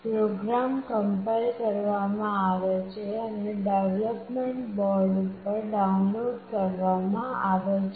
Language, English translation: Gujarati, The program is compiled and downloaded onto the development boards